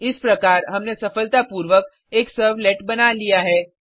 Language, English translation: Hindi, Thus, we have successfully created a servlet